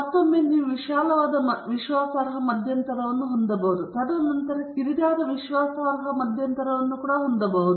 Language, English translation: Kannada, And again, you can have a broad confident interval, and then, you can also have a narrow confidence interval